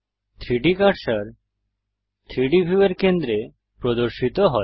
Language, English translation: Bengali, The 3D cursor snaps to the centre of the 3 selected objects